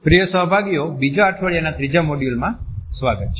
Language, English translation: Gujarati, Welcome dear participants to the third module of the second week